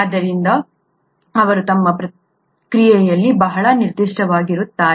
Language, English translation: Kannada, So they are very specific in their action